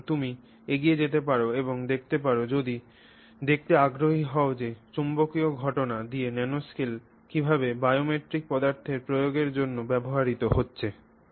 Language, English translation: Bengali, So, you can go ahead and look at this if you're interested to see how this magnetic phenomena at the nanoscale is being used for a biomatic materials application